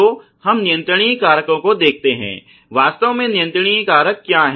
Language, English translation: Hindi, So, let us look at the controllable factors; what are really controllable factors